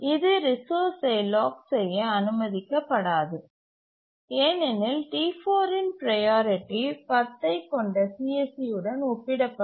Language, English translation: Tamil, It will not be allowed to lock this resource because the priority of T4 will compare to the C